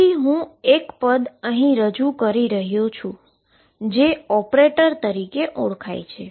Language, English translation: Gujarati, So, I am introducing a term called operator these are known as operators